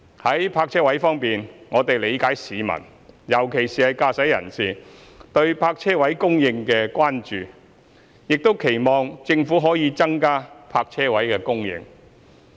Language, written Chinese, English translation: Cantonese, 在泊車位方面，我們理解市民，尤其是駕駛人士，對泊車位供應的關注，亦期望政府可以增加泊車位供應。, Regarding parking spaces we understand that the concern of the public particularly motorists about the supply of parking spaces and hope that the Government can increase their supply